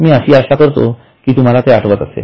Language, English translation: Marathi, I hope you remember